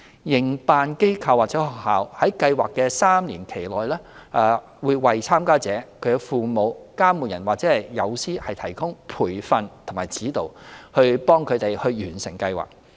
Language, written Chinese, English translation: Cantonese, 營辦機構/學校在計劃的3年期內為參加者、其父母/監護人，以及友師提供培訓和指導，以助他們完成計劃。, Project operatorsschools provide training and guidance for the participants their parentsguardians and mentors throughout the three - year project period to facilitate their completion of the project